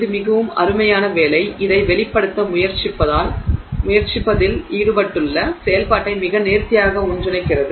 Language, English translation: Tamil, And this is a very nice work which very nicely puts together the activity involved in trying to convey this